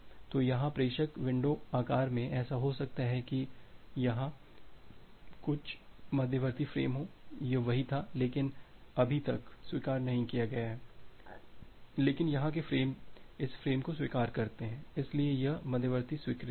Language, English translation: Hindi, So, here in the sender window size; it may happen that well there are some intermediate frames here this had been same, but not yet acknowledged, but the frames here this frames they got acknowledged so this intermediate acknowledgements are there